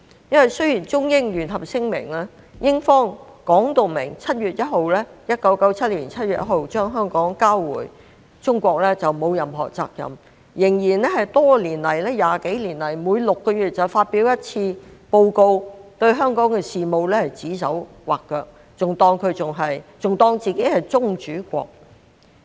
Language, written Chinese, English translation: Cantonese, 雖然英方在《中英聯合聲明》中說明1997年7月1日將香港交回中國後就沒有任何責任，但20幾年來仍然每6個月發表一次報告，對香港的事務指手劃腳，還當自己是宗主國。, Despite the clear statement in the Sino - British Joint Declaration that its responsibility for Hong Kong would end after the return of Hong Kong to China on 1 July 1997 Britain has kept publishing Six - monthly Reports on Hong Kong over the past 20 - odd years making arbitrary comments about Hong Kongs affairs as if it continues to be our sovereign state